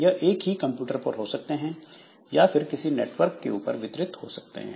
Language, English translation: Hindi, They may be located on the same computer or they may be distributed over the network